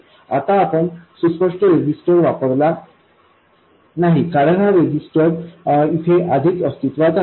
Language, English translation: Marathi, Now we didn't use an explicit resistor because this resistor is already in place